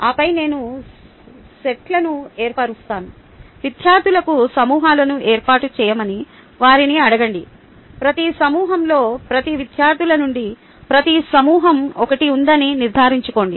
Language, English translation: Telugu, ah, give it to the students, ask them to form groups, making sure that each group has one from each set of students